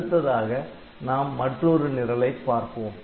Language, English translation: Tamil, So, next we will look into another program look into another program